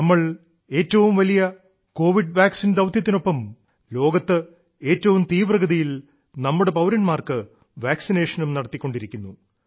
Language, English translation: Malayalam, Along with the biggest Vaccine Programme, we are vaccinating our citizens faster than anywhere in the world